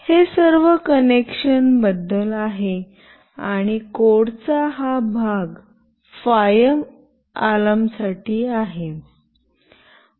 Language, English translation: Marathi, This is all about the connection and this part of the code is for the fire alarm